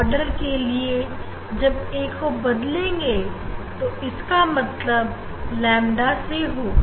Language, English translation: Hindi, If a increase to for same order first it has to be lambda